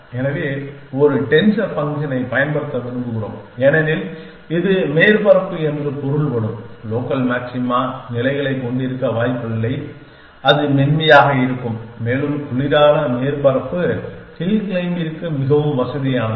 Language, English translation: Tamil, So, we would like to use a denser function because it is not likely to have states which are local maxima which mean the surface, it generates would be smoother and a cooler surface is more amenable to hill claiming